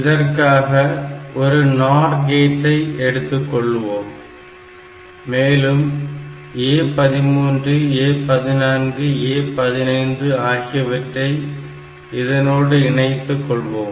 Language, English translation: Tamil, So, what we do, we take one nor gate and this A 13 A 14 and A 15 we put all of them here